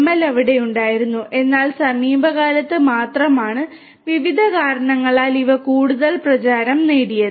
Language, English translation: Malayalam, ML has been there, but in the only in the recent times these have become more and more popular due to a variety of reasons